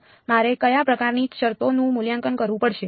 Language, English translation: Gujarati, So, what kind of terms do I have to evaluate